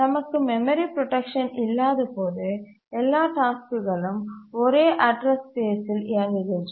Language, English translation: Tamil, When we don't have memory protection, all tasks operate on the same address space